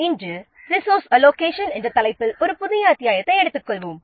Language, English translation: Tamil, So, today we will take up a new chapter that is an resource allocation